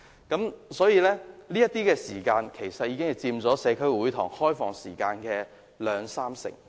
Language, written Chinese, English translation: Cantonese, 然而，這些時間卻佔了社區會堂開放時間約兩至三成。, And yet these hours have accounted for about 20 % to 30 % of the opening hours of the community halls